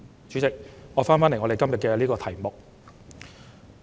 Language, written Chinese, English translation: Cantonese, 主席，說回今天的議案題目。, President I will go back to the theme of the motion today